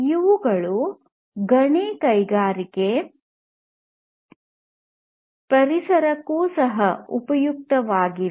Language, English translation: Kannada, They are also very useful for mining environments